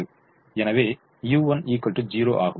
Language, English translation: Tamil, therefore u one is equal to zero